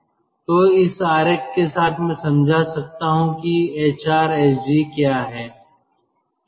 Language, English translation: Hindi, so with this diagram i can explain what is hrsg